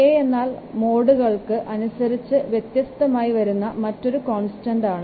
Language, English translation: Malayalam, K is another constant that also varies for the different modes